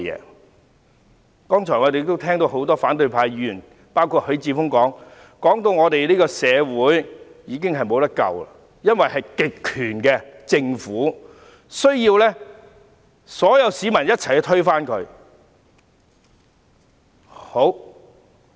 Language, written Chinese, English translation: Cantonese, 我們剛才聽到包括許智峯議員之內的多位反對派議員發言，指我們這個社會已無藥可救，因為是一個極權政府，需要所有市民共同推翻。, Earlier we have heard speeches of opposition Members including Mr HUI Chi - fung describing our society as irremediable because it is an authoritarian regime; and claiming that the people need to topple it together